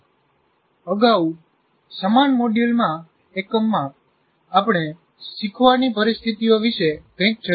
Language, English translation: Gujarati, In our earlier unit in the same module, we spent something about learning situations